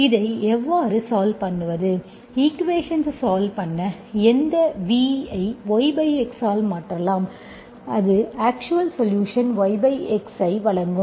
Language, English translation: Tamil, Once solve this, you can replace this V by y by x, that will give you actual solution y of x